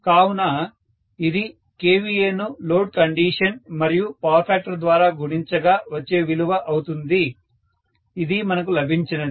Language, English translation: Telugu, So, this is going to be kVA multiplied by whatever load condition multiplied by power factor, this is what we have got